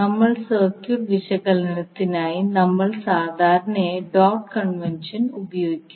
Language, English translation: Malayalam, We generally use the dot convention for our circuit analysis